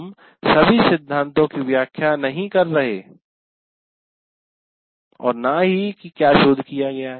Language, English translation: Hindi, We are not explaining all the theory and what research has been done and all that